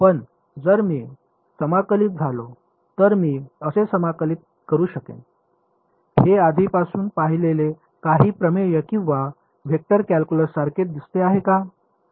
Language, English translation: Marathi, But if we if I integrate I mean how do I integrate; does it look like some theorem or vector calculus you have already seen